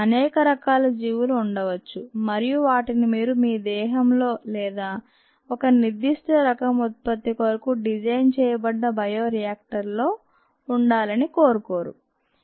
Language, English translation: Telugu, there could be many types of organisms and you dont want them to be present either in your body or in the bioreactor, which is designed to produce a particular type of product